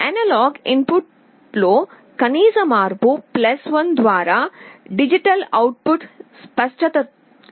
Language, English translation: Telugu, The minimum change in the analog input which will result in a change in the digital output by +1 is resolution